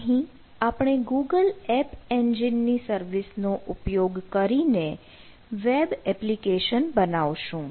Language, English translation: Gujarati, so we will use these google app engine services to build a web application